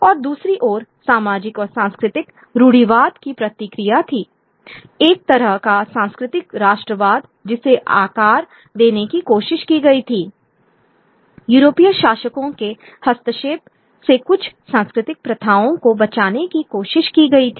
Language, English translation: Hindi, And on the other hand, there was the response of social and cultural conservatism, a kind of a cultural nationalism that was sought to be shaped, trying to protect certain cultural practices from the intervention from European rulers